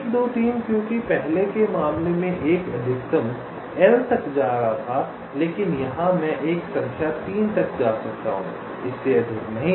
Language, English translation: Hindi, because in the earlier case i was going up to a maximum of l, but here i can go up to a number three, not more than that